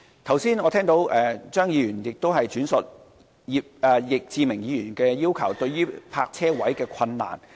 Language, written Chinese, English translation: Cantonese, 我剛才聽到張議員轉述易志明議員的要求，並提及有關泊車位的困難。, I have just heard Mr CHEUNG relay Mr Frankie YICKs request and mention the difficulties in searching for parking spaces